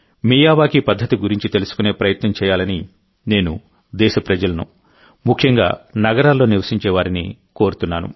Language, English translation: Telugu, I would urge the countrymen, especially those living in cities, to make an effort to learn about the Miyawaki method